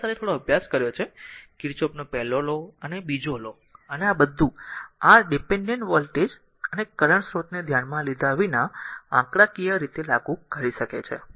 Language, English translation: Gujarati, So, with these ah whatever little bit you have studied , Kirchhoff's ah first law and second law, and all this say numericals ah your your we can without considering the your ah dependent voltage and current source